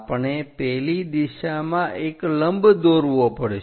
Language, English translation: Gujarati, We have to draw a perpendicular in that direction